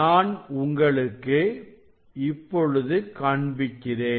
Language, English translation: Tamil, So now, I will show you; I will show you the reading